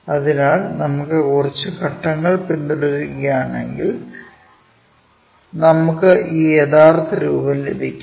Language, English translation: Malayalam, So, if we are following few steps as a recommendation, then we will get this true shape